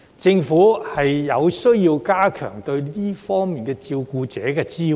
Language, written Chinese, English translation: Cantonese, 政府有需要加強對這些照顧者的支援。, There is a need for the Government to enhance support for these carers